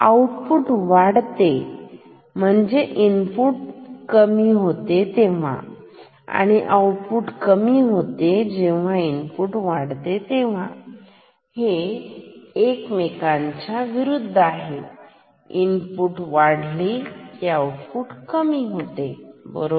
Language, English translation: Marathi, Output increases when input decreases and output decreases; goes down, goes low when input increases opposite behavior input increases, output decreases right